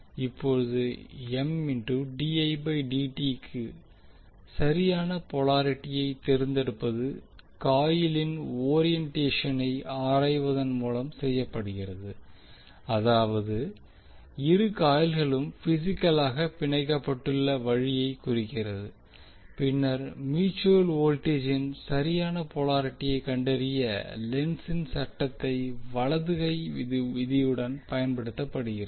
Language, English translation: Tamil, Now the choice of correct polarity for M dI by dt is made by examining the orientation of the coil that means the way in which both coils are physically bound and then applying the Lenz’s law along with the right hand rule to find the correct polarity for mutual voltage